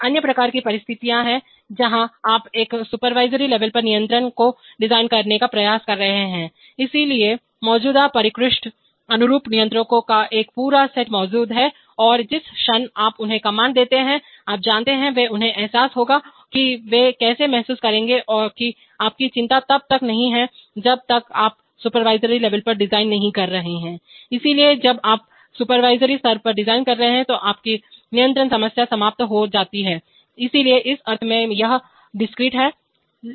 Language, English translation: Hindi, There are another kind of situations where you are trying to design the control at a supervisory level, so there is a whole set of sophisticated analog controllers existing and the moment you give them command, you are, you know, that they will be, they will realize them how they will realize is not your concern as long as you are designing at the supervisory level, so because you are designing at the supervisory level your control problem is abstracted out, so in that sense it is discrete